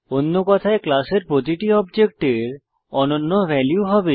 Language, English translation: Bengali, In other words each object of a class will have unique values